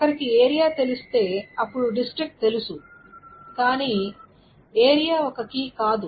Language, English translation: Telugu, So if one knows the area, one knows the district but area is not a key